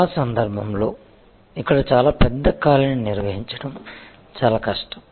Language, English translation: Telugu, In most cases, it is very difficult to manage a very large gap here